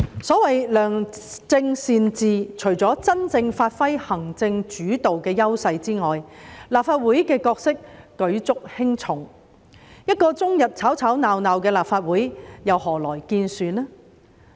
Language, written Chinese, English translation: Cantonese, 所謂良政善治，除了真正發揮行政主導的優勢外，立法會的角色舉足輕重，一個終日吵吵鬧鬧的立法會又何來建樹呢？, The role of the Legislative Council is crucial to good governance in addition to the advantages of a truly executive - led Government . How can a bickering Legislative Council make any contribution to society?